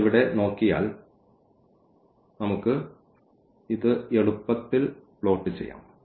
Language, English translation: Malayalam, So, if we look at here we can easily plot this